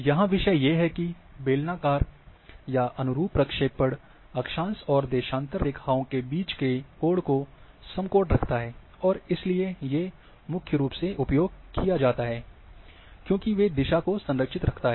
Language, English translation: Hindi, There are other issues is here, that cylindrical or conformal projections preserves right angles between lines of latitude and longitude, and are primarily used to, because they preserve direction